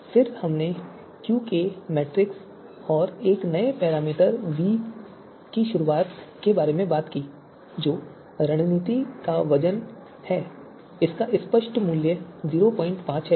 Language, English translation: Hindi, Then we talked about the QK metric which is the you know and the introduction of a new parameter v which is the weight of the strategy typical value being 0